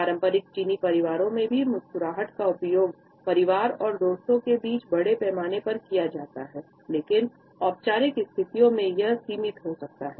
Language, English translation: Hindi, In traditional Chinese families also, smiling is used extensively among family and friends, but in formal situations it may still be limited